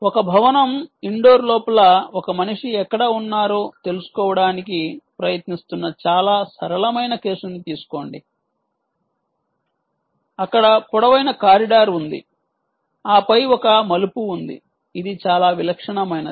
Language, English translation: Telugu, take a very simple case of ah trying to find out where a human is inside the inside the inside a building indoor, where there is a long corridor and then there is a turning, which is quite typical, right